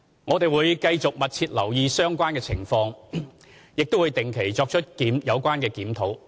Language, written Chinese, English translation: Cantonese, 我們會繼續密切留意相關情況及定期作出檢討。, We will continue to closely monitor and regularly review the situation